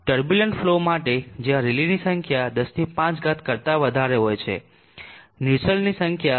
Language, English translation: Gujarati, And for turbulent flow were the rally number is greater than 109 Nusselt number is given by 0